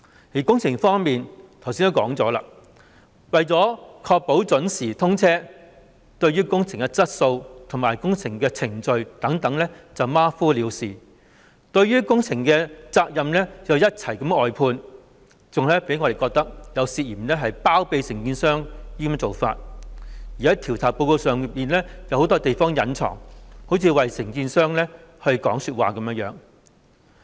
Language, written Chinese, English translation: Cantonese, 在工程方面，我剛才也說過，為確保準時通車，對於工程的質素和程序等馬虎了事，把工程的責任也一併外判，更令我們感到有包庇承建商之嫌，在調查報告中有很多地方故意隱瞞，好像為承建商說詞一樣。, On the works front as I have just said in order to ensure commissioning on time MTRCL is slipshod in the quality process and so on of the works and has even outsourced its responsibilities for the works inviting our suspicion about concealment of the contractors wrongdoings . The investigation report is dotted with deliberate cover - ups which seem to be defending the contractor